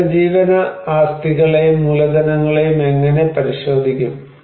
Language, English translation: Malayalam, So, how one look into these livelihood assets or capitals